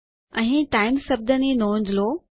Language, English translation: Gujarati, Notice the word times here